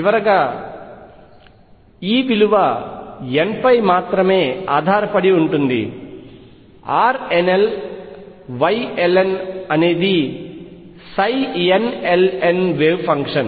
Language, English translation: Telugu, And finally, E depends only on n R nl Y ln is the wave function psi n l n